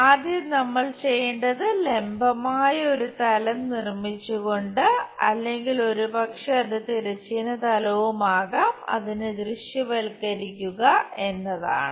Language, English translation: Malayalam, Further first what we have to do is visualize that, by making a vertical plane perhaps that might be the horizontal plane